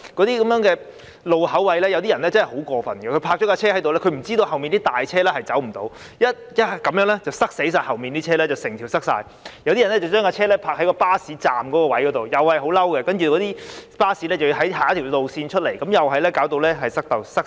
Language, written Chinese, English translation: Cantonese, 在一些路口位，有些人真的很過分，把汽車停泊在那裏，不知道隨後的大型汽車將不能駛過，導致整條道路擠塞；有些人則把汽車停泊在巴士站，令巴士要繞路而行，同樣導致道路擠塞，亦令人感到氣憤。, They had no idea that large vehicles would be unable to pass through afterwards thus blocking the entire road . Some other people parked their cars at bus stops and thus the buses had to make a detour . It also caused the road to be jammed and was infuriating